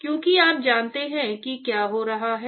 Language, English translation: Hindi, Because you know what is happening